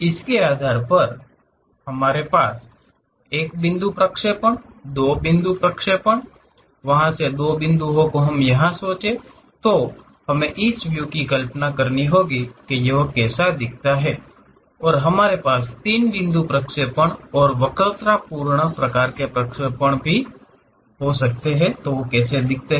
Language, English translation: Hindi, Based on that we have 1 point projections, 2 point projections; like 2 points from there, if we have visualizing the views, how it looks like, and 3 point projections and curvilinear kind of projections we have